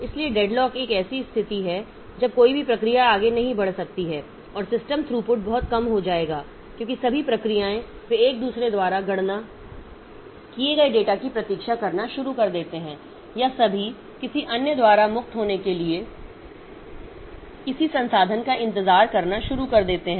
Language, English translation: Hindi, So, deadlock is a situation where none of the processes can proceed and system throughput will be very low because all the processes they start waiting for on, for data computed by each other or all of them start waiting for some resource to be freed by some other process and that process again waits for some other process to finish its resource